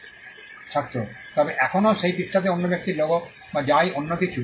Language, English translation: Bengali, Student: But still in that page that the other persons logo, or whatever